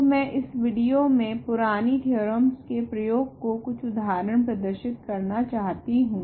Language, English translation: Hindi, So, I want to do some examples in this video to illustrate the application of the previous theorem